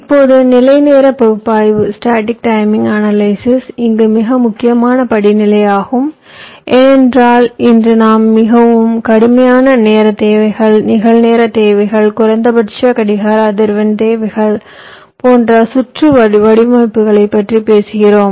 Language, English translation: Tamil, static timing analysis is a very important step in this respect because of the simple reason is that today we are talking about circuit designs where we have very stringent timing requirements real time requirements, minimum clock frequency requirements, so on